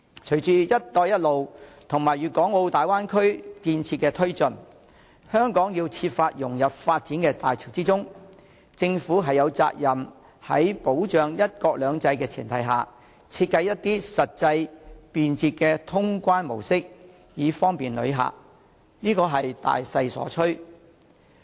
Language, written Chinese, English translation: Cantonese, 隨着"一帶一路"和粵港澳大灣區建設的推進，香港須設法融入發展的大潮中，因此政府有責任在保障"一國兩制"的前提下，設計出實際、便捷的通關模式以方便旅客，這是大勢所趨。, Under the initiatives of One Belt One Road and the development of the Guangzhou - Hong Kong - Macao Bay Area Hong Kong should try its best to tie in with the major development trend . Hence under the premise of safeguarding the principle of one country two systems the Government has the responsibility to follow the major trend and formulate a practical and efficient mode of clearance for the convenience of travelers